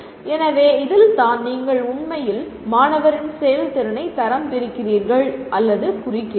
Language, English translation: Tamil, So that is where you are actually grading or marking the student’s performance